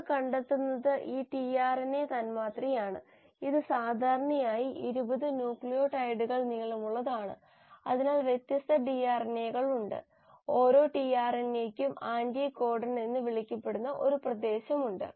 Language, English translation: Malayalam, And what you find is this tRNA molecule which is usually about 80 nucleotides long, so there are different tRNAs; each tRNA has a region which is called as the “anticodon”